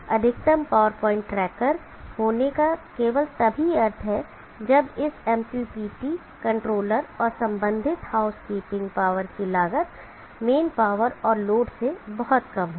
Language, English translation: Hindi, So it makes sense to have a maximum power point tracker only if the cost of this MPPT controller and the associated housekeeping power is much lesser than the main power and the load